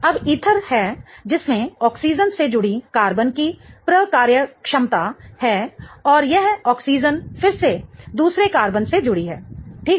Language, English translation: Hindi, Now, ether is the has the functionality of carbon attached to an oxygen and this oxygen is again attached to another carbon, right